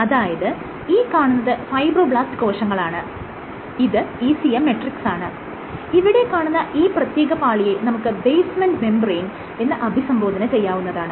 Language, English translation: Malayalam, So, these are fibroblasts, this is the ECM, and what this entity is in particularly interesting, this is called the basement membrane